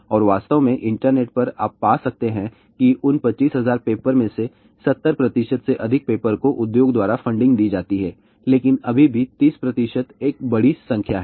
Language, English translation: Hindi, And in fact, on the internet itself you can find that out of those 25000 papers , more than 70 percent papers are funding by industry but still thirty percent is a large number